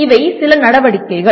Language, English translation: Tamil, These are some activities